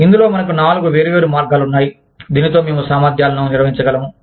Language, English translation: Telugu, In this, we have four different ways, in which, we can manage competencies